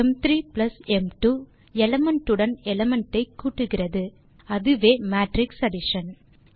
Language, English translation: Tamil, m3+m2 does element by element addition, that is matrix addition